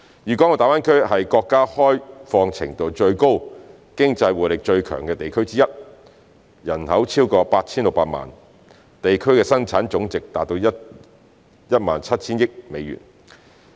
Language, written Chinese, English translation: Cantonese, 粵港澳大灣區是國家開放程度最高，經濟活力最強的地區之一。人口超過 8,600 萬，地區生產總值達 17,000 億美元。, GBA is one of the most open and economically vibrant regions in China with a total population of over 86 million and a GDP of US1,700 billion